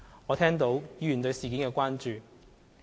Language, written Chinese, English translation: Cantonese, 我聽到議員對事件的關注。, I have heard Members concern about the incident